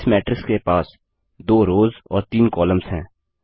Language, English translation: Hindi, This matrix has 2 rows and 3 columns